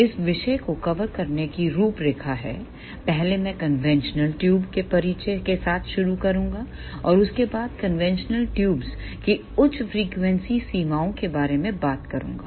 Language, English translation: Hindi, The outline to cover this topic is, first I will start with introduction to conventional tubes followed by high frequency limitations of conventional tubes